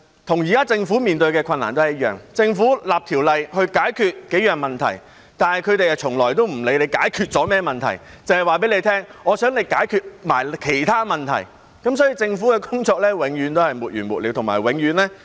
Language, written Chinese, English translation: Cantonese, 與現時政府面對的困難一樣，政府訂立條例以解決數個問題，但他們從來也不會理會政府解決了甚麼問題，只會告訴政府，他們想一併解決的其他問題，因此政府的工作永遠也是沒完沒了，而且永遠也是被攻擊的對象。, Just like the difficulties faced by the Government now when the Government tries to enact legislation to address several problems these people will never bother to find out what problems the Government is trying to solve . They will only tell the Government the other problems that they want it to solve in one go . As a result the Government will have an endless task and become an endless target for attack